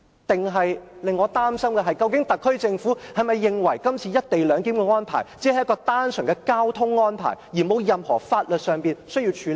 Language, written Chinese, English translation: Cantonese, 但令我擔心的是，究竟特區政府是否認為這次"一地兩檢"安排只是單純的交通安排，沒有任何法律事項需要處理呢？, But what worries me is that the SAR Government may regard the co - location arrangement merely a transport arrangement which does not involve any legal issues